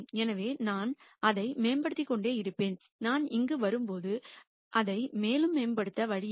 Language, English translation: Tamil, So, I will keep improving it and when I come here there is no way to improve it any further